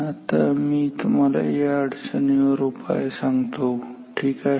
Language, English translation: Marathi, Now I will give you the solution to this problem ok